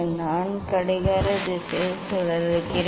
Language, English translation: Tamil, I rotate clockwise